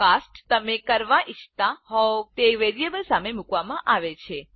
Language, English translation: Gujarati, This cast is put in front of the variable you want to cast